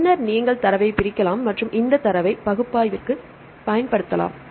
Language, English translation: Tamil, Then you can separate data and you can use these data for the analysis